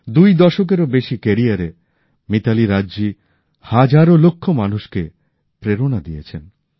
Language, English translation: Bengali, Mitali Raj ji has inspired millions during her more than two decades long career